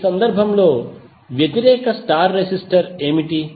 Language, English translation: Telugu, So in this case, what is the opposite star resistor